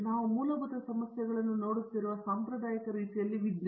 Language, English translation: Kannada, Science in the conventional way we were looking at the basic problems